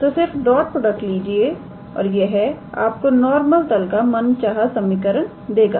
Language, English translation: Hindi, So, just take the dot product and that will give you the required equation of the normal plane